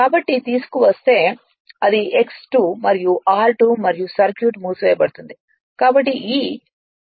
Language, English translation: Telugu, So, if you bring it it is X 2 dash and r 2 dash and circuit is closed